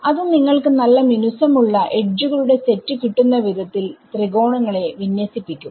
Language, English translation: Malayalam, So, it will align the triangles to be in such a way that you can get a nice smooth set of edges